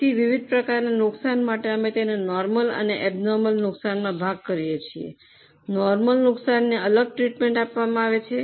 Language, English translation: Gujarati, So, for different types of losses, we divide them into normal and abnormal and normal losses are treated differently